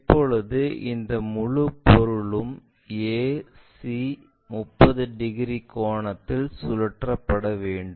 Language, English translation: Tamil, Now this entire object this entire object a 1 c, a 1 b has to be made into 30 degrees angle